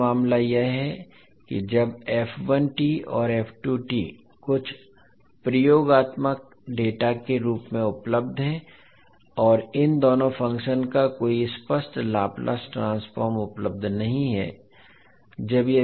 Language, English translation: Hindi, Another case is that when f1t and f2t are available in the form of some experimental data and there is no explicit Laplace transform of these two functions available